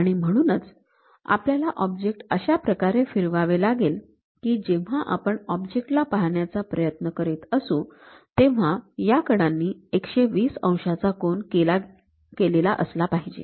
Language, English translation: Marathi, So, we have to rotate that object in such a way that; when I visualize that object, these edges supposed to make 120 degrees